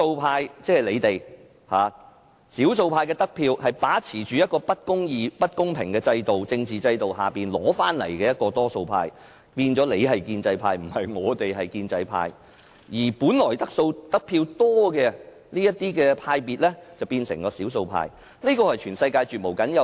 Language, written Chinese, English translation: Cantonese, 他們是因為把持着不公義、不公平的政治制度，所以才能奪得較多議席而成為多數派，變成議會內的建制派，而本來得票較多的黨派則變成少數派，這是全世界絕無僅有的。, Owing to the unjust and unfair political system they could win more seats and became the majority party and the pro - establishment camp in this Council; whereas the parties and groupings that got more votes have become the minority . This situation is rarely seen in the world